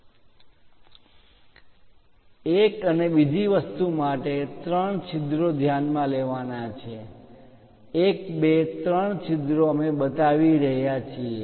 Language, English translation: Gujarati, And one more thing one has to notice three holes; 1, 2, 3, holes we are showing